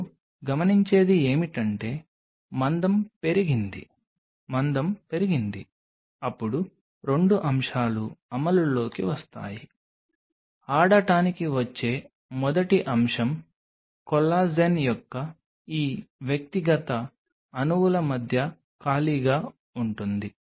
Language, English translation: Telugu, What will you observe is the thickness has gone up, the thickness has gone up then there are 2 aspects which will come into play; the first aspect which will be coming to play is what will be the space between these individual molecules of collagen